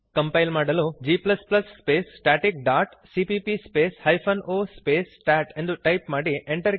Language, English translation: Kannada, To compile type g++ space static dot cpp space hyphen o space stat